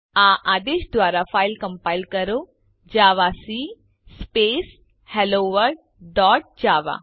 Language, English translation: Gujarati, Compile the file using javac Hello World dot java